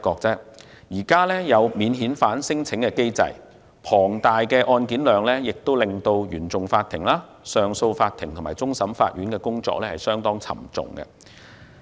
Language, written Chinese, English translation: Cantonese, 在現時的免遣返聲請機制下，龐大的案件量令原訟法庭、上訴法庭和終審法院的工作相當沉重。, A considerable number of cases under the current system of non - refoulement claims also put a very heavy workload on CFI Court of Appeal CA and CFA